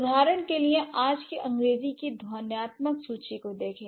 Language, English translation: Hindi, For instance, look at the phonetic inventory of today's English